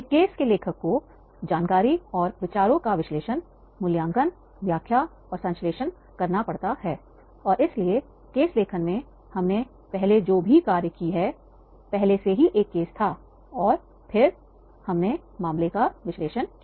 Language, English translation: Hindi, A case writer has to analyze, evaluate, interpret and synthesize the information and ideas and therefore in the case writing because what we have discussed earlier that was already there was a case and then we have done the case analysis